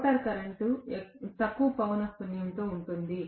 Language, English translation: Telugu, The rotor current is at a lower frequency